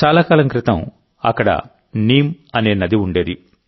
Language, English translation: Telugu, A long time ago, there used to be a river here named Neem